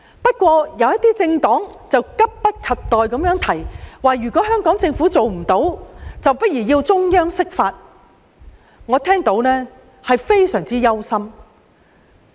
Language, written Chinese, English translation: Cantonese, 不過，有些政黨卻急不及待地提出如香港政府做不到，大可提請中央釋法，我聽罷甚感憂心。, However a certain political party has hastily floated the idea of seeking an interpretation of the Basic Law by the Central Authorities should the Hong Kong Government encounter difficulties in doing so and I find this very worrying